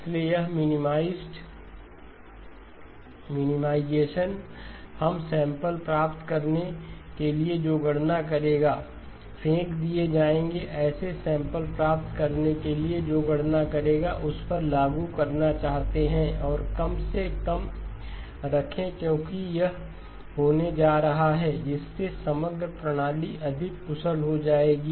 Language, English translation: Hindi, So this minimization we would like to apply to computations to obtain samples, computations to obtain samples that will be thrown away and keep that to a minimum because that is going to be, that will make the overall system more efficient